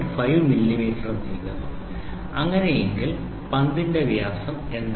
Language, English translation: Malayalam, 2 millimeter, ok so, this is the diameter of the ball